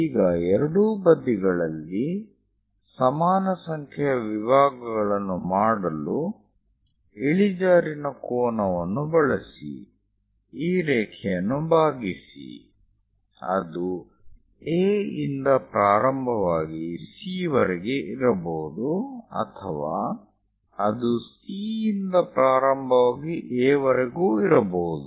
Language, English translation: Kannada, Now, use inclined angle to make it equal number of divisions on both sides, divide the line; it can be beginning from A to C, or it can be from A ah C to A also, it is perfectly fine